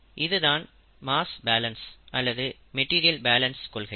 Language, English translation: Tamil, This is a principle of mass balance or material balance